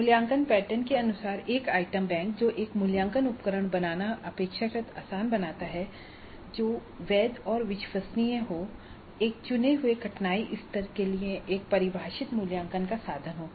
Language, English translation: Hindi, And an item bank as per the assessment pattern which makes it relatively easy to create an assessment instrument that is valid and reliable and a defined assessment instrument pattern for a chosen difficulty level